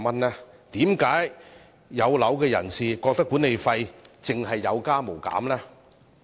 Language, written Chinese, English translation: Cantonese, 為何"有樓人士"覺得管理費有加無減？, Why do home owners feel that management fees will only go up?